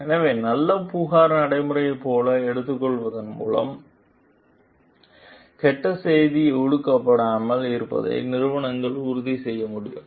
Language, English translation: Tamil, So, by taking like good complaint procedure; so, organizations can ensure like the bad news is not repressed